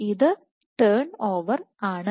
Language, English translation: Malayalam, So, this is turn over